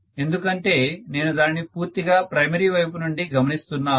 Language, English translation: Telugu, Because one I am looking at it from the primary point of view completely